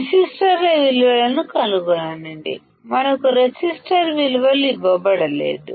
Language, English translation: Telugu, Find the values of resistors; as we have not been given the values of resistor